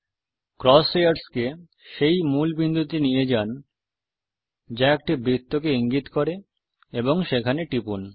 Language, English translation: Bengali, Move the cross hairs to a key point that indicates the circle and click